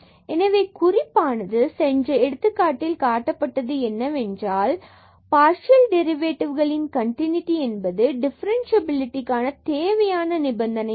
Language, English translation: Tamil, So, this remark the above example shows that the continuity of partial derivatives is not in necessary condition for differentiability